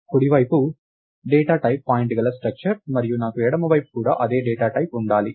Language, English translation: Telugu, And since the right side is a structure of the data type point and I should have the left side also to be of the same data type